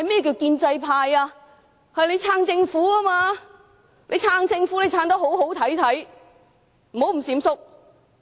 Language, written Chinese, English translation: Cantonese, 建制派理應支持政府；若要支持政府便要得體，不應閃縮。, The pro - establishment camp should support the Government . In doing so they should be open and above board but not evasive